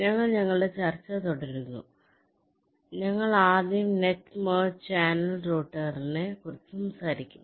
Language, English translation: Malayalam, so we continue our discussion and we shall first talk about something called net merge channel router